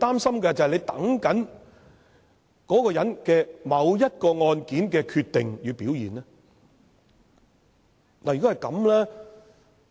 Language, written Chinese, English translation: Cantonese, 是否在等某個人就某一宗案件的決定和表現呢？, Is he waiting to see the decision and performance of a certain person in respect of a particular case?